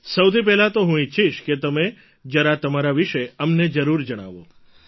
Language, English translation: Gujarati, First of all, I'd want you to definitely tell us something about yourself